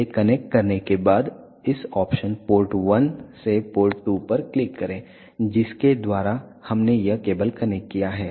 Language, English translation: Hindi, After connecting this just click on this option port 1 to port 2 through we had just connected these cables